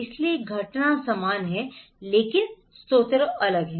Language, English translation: Hindi, So, the event is same but the sources are different